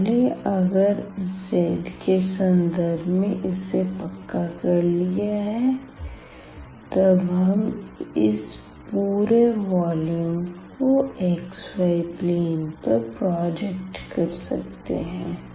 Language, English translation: Hindi, So, if we have fixed already with respect to z then we can project the geometry, the volume to the xy plane